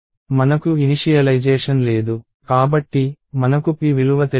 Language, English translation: Telugu, Since, I have no initialization I have no known value of p